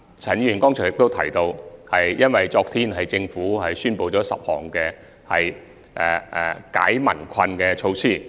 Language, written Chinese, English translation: Cantonese, 陳議員剛才亦提及政府昨天所宣布的10項紓解民困措施。, Just now Mr CHAN also mentioned one of the 10 relief measures announced by the Government yesterday